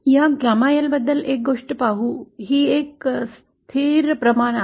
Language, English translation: Marathi, No see one thing about this gamma L is that this is a constant quantity